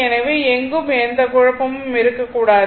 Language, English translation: Tamil, So, there should not be any confusion anywhere